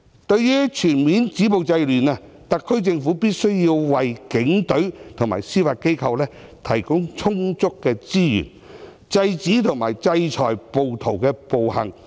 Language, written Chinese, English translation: Cantonese, 對於全面止暴制亂，特區政府必須為警隊和司法機構提供充足的資源，制止和制裁暴徒的暴行。, To stop violence and curb disorder completely the SAR Government must provide the Police Force and the Judiciary with sufficient resources to stop rioters from committing violent acts and sanction the wrongdoers